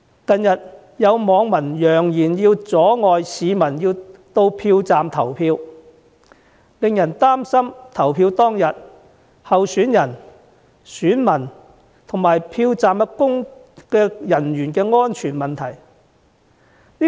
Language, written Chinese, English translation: Cantonese, 近日有網民揚言要阻礙市民到票站投票，令人擔心在投票當天，候選人、選民及票站人員的安全問題。, Recently some netizens have threatened to obstruct people from going to the polling stations to vote thus causing concerns over the safety of candidates voters and polling staff on the polling day